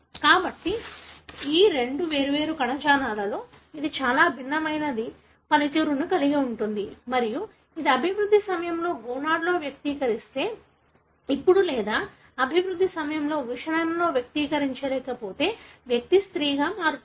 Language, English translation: Telugu, So, it has very different function in these two different tissues and if it expresses in the gonad during development, now or if it doesn’t express in the testis during development, then the individual become female